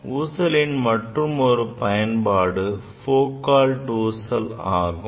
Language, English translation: Tamil, Then another application is Foucault pendulum